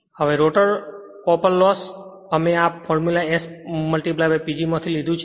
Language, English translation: Gujarati, Now, rotor copper loss we also derived this formula S into P G